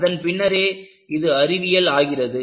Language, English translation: Tamil, Then, it becomes Science